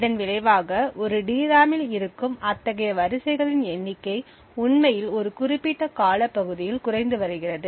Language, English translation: Tamil, As a result, the number of such rows present in a DRAM was actually reducing over a period of time